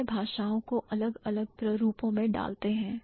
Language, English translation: Hindi, They put languages in different types